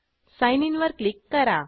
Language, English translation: Marathi, And click on Sign In